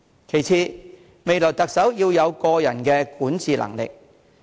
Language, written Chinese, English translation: Cantonese, 其次，未來特首要有過人的管治能力。, Second the next Chief Executive must have exceptional governance ability